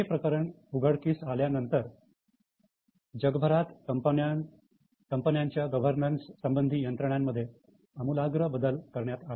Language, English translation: Marathi, After this case, major changes were made in the governance mechanism all over the world